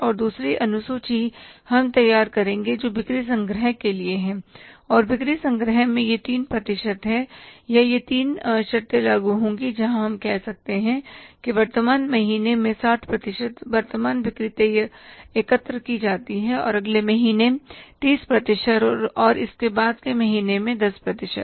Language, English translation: Hindi, So, first we have to prepare the schedule for the sales which are 100% on credit and second schedule we will prepare that is for the sales collection and in the sales collection these three percentages or these three conditions will apply where we can say 60% of current sales are collected in the current month and 30% in the next month and 10% in the say month thereafter